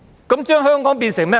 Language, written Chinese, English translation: Cantonese, 這將香港變成甚麼呢？, In that case what has Hong Kong become?